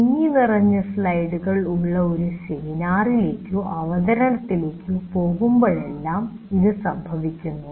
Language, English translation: Malayalam, It does happen whenever you go to a seminar or a presentation where the slides are overcrowded, it's very difficult to keep track of that